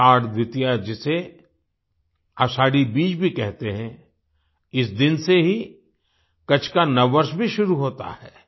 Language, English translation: Hindi, Ashadha Dwitiya, also known as Ashadhi Bij, marks the beginning of the new year of Kutch on this day